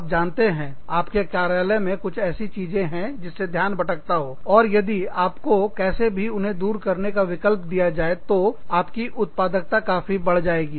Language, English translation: Hindi, You know, if my offices, has few distractions, or, if i am given the option, to remove these distractions, somehow, my productivity will go up, considerably